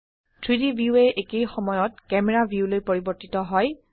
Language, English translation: Assamese, The 3D view switches to the camera view at the same time